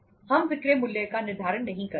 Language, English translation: Hindi, We donít determine the selling price